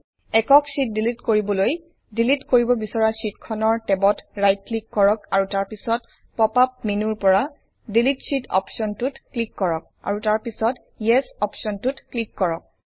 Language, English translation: Assamese, In order to delete single sheets, right click on the tab of the sheet you want to delete and then click on the Delete Sheet option in the pop up menu and then click on the Yes option